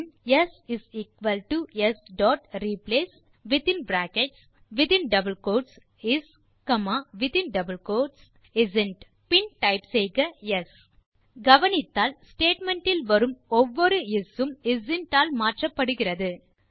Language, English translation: Tamil, then s = s dot replace within brackets and double quotes is, again brackets and double quotes isnt We notice that every is in the statement has been replaced by isnt